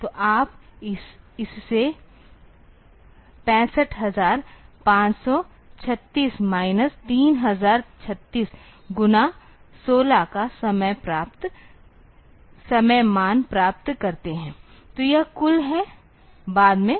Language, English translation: Hindi, So, you get it time value of 65536 minus 3036 this into 16; so, this is the total after